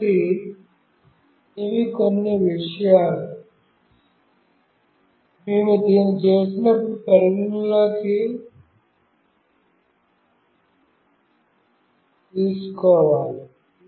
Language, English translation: Telugu, So, these are the few things, we have to take into consideration when we do this